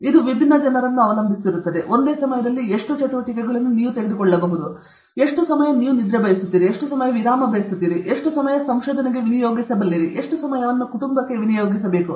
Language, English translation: Kannada, This depends on different people, how many activities you can take at the same time okay, how much time you want to sleep, how much time you want for leisure, how much time you will devote for research, how much time you will devote for family, whatever